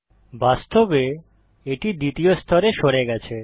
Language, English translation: Bengali, Infact, it has been moved to the second layer